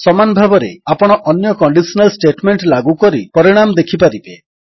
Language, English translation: Odia, In the same manner, you can apply other conditional statements and study the results